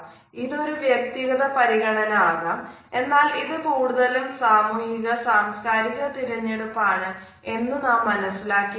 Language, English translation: Malayalam, It can be a personal choice, but more often now we find that it has become a social and cultural choice